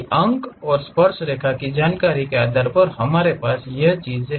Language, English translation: Hindi, Based on the points and the tangent information what we have